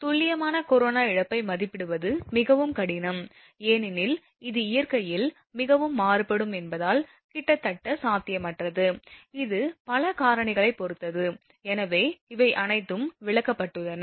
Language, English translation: Tamil, So, estimation of accurate corona loss is very difficult, it is almost impossible because of it is extremely variable in nature; it depends on your so many factors associated with it, so all these things have been explained